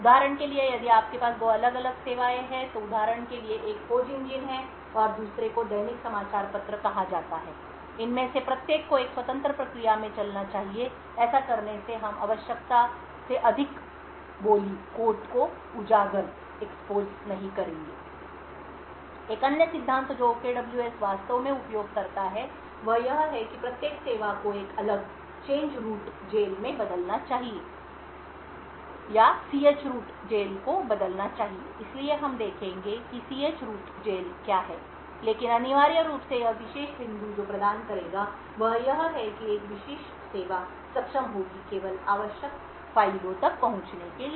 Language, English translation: Hindi, So for example if you have two different services so one for example is the search engine and the other one is say the daily newspaper, each of these should run in a independent process, by doing this we will not be exposing more quote than required, another principle that OKWS actually uses is that every service should run in a separate chroot jail or change root jail, so we will see more details of what ch root jail is but essentially what this particular point would provide is that a particular service would be able to access only the necessary files